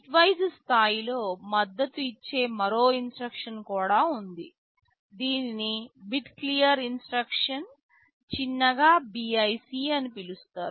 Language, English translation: Telugu, There is another instruction also that is supported at the bitwise level this is called bit clear instruction, in short BIC